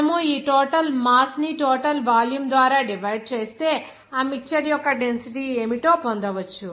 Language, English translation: Telugu, If you divide this total mass by this total volume, then you can simply get what should be the density of that mixture